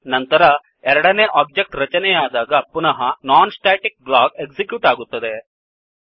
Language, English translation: Kannada, Then again when the second object is created, the non static block is executed